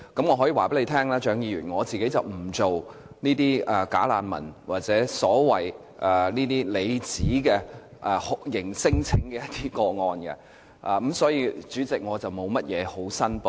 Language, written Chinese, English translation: Cantonese, 我可以告訴蔣議員，我本身不承接"假難民"或她所指的酷刑聲請個案，所以，代理主席，我沒有甚麼可以申報。, May I tell Dr CHIANG that I do not take bogus refugee cases or the kind of torture claim cases she mentioned . Hence Deputy President I have nothing to declare